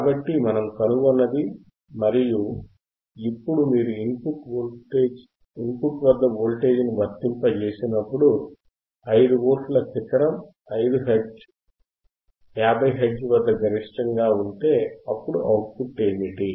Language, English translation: Telugu, So, that is what we have found and now if you see that when we apply a voltage apply a voltage at the input right apply the voltage at the input, which is 5 Volts peak to peak at 50 Hertz, then what is the output